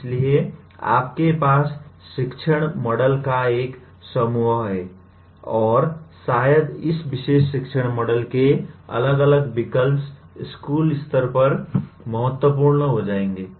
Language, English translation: Hindi, So you have a bunch of teaching models and maybe different these choice of this particular teaching model will become important more at school level